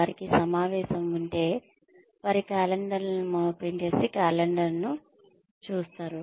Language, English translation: Telugu, If they have a meeting, if they have a calendar, they will first look at the calendar